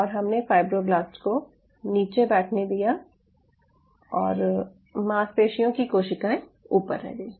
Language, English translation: Hindi, we just allow the muscle to sit there and the fibroblasts kind of settle down and the muscle cells were in the top